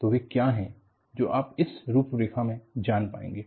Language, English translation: Hindi, So, that is what, you will be able to get from this outline